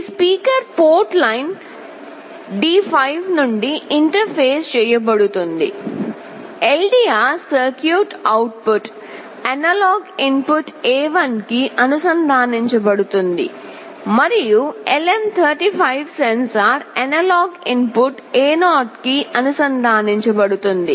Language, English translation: Telugu, This speaker will be interfaced from port line D5, the LDR circuit output will be connected to analog input A1, and the LM35 sensor will be connected to analog input A0